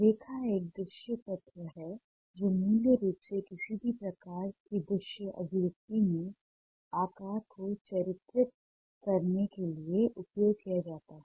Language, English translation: Hindi, line is a visual element that is ah mainly used to ah delineate, shape ah in any kind of visual expression